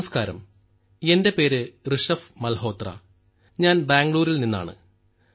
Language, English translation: Malayalam, Hello, my name is Rishabh Malhotra and I am from Bengaluru